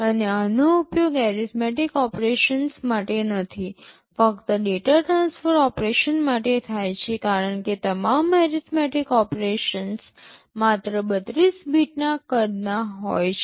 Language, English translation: Gujarati, And these are not used for arithmetic operations, only for data transfer operations because all arithmetic operations are only 32 bits in size